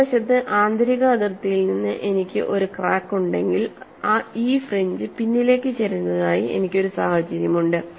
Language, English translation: Malayalam, On the other hand, if I have a crack from the inner boundary, I have a situation that these fringes are tilted backward and these fringes are tilted forward